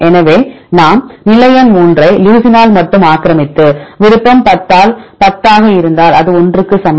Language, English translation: Tamil, So, if we take position number 3 a occupied only by leucine and the preference is 10 by 10 this equal to 1